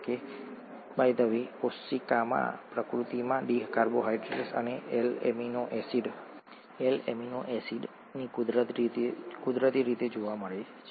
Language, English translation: Gujarati, And by the way, in nature in the cell, there are D carbohydrates and L amino acids naturally occurring